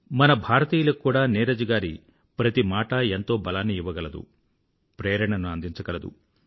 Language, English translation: Telugu, Every word of Neeraj ji's work can instill a lot of strength & inspiration in us Indians